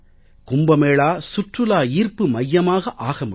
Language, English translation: Tamil, The Kumbh Mela can become the centre of tourist attraction as well